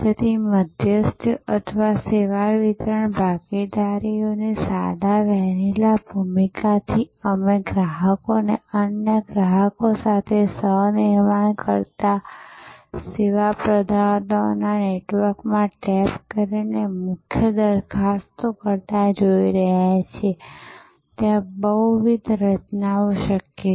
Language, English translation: Gujarati, So, from plain vanilla role of intermediaries or service delivery partners, we are increasingly seeing customers co creating with other customers, value propositions by tapping into networks of service providers, there are multiple formations possible